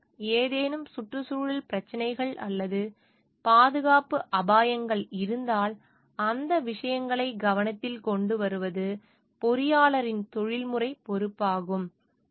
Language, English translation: Tamil, So, if there is any environmental issues or safety hazards it is the responsibility of the professional responsibility of the engineer to bring those things into the focus